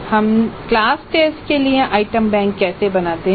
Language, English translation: Hindi, Then the class tests, how do we create item banks for the class test